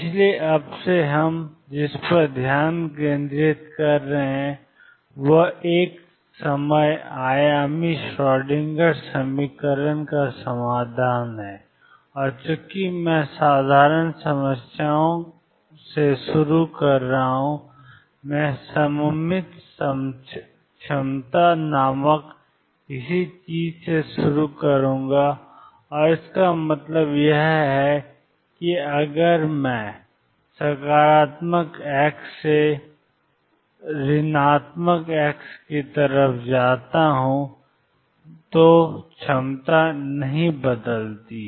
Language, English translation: Hindi, So, from now onward what we are concentrating on is the solution of the timing one dimensional Schrodinger equation and since I am starting the simple problems, I will start with something called the symmetric potentials and what I mean by that is that if I go from positive x to negative x; the potential does not change